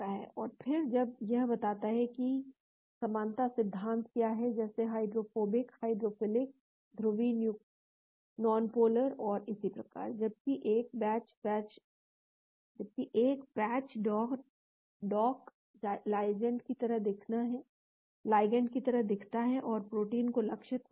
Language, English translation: Hindi, And then it says what is the similarity like principles like hydrophobic, hydrophilic, polar nonpolar and so on, whereas a patch dock looks like ligand and target protein and see what is the commonality based on the shape